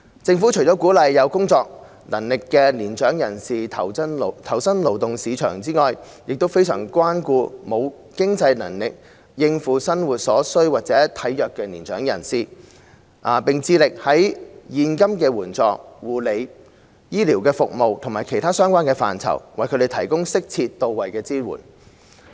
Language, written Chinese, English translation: Cantonese, 政府除鼓勵有工作能力的年長人士投身勞動市場外，亦非常關顧沒有經濟能力應付生活所需或體弱的年長人士，並致力在現金援助、護理、醫療服務及其他相關範疇，為他們提供適切到位的支援。, Apart from encouraging mature persons with the ability to work to join the labour market the Government also cares a lot about mature persons who lack the means to make ends meet and those who are physically frail . We have endeavoured to render them tailor - made support in terms of cash assistance care and medical services as well as services in other relevant areas